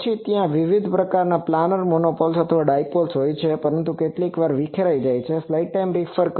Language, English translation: Gujarati, Then there are various types of planar monopoles, and dipoles, but sometimes they becomes dispersive etc